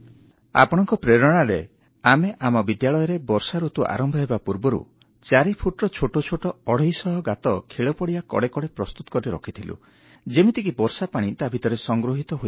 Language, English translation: Odia, "Drawing inspiration from you, in our school, before the onset of monsoon we dug 250 small trenches which were 4 feet deep, along the side of the playground, so that rainwater could be collected in these